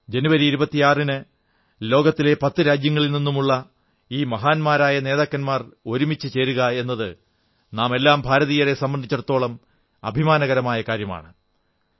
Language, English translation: Malayalam, On 26th January the arrival of great leaders of 10 nations of the world as a unit is a matter of pride for all Indians